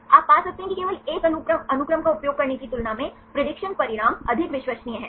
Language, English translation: Hindi, You can get that the prediction results are more reliable than using just a single sequence